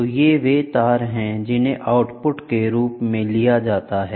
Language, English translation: Hindi, So here, these are the wires which are taken as output